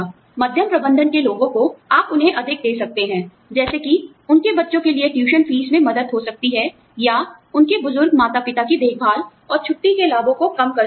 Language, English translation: Hindi, People, you know, middle management, you could give them more of, say, help with tuition fees for their children, or, care for their elderly ageing parents, and less of vacation benefits